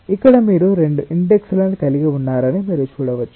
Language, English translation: Telugu, you can see that here you are having two indices